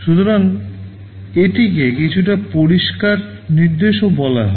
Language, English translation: Bengali, So, this is also called a bit clear instruction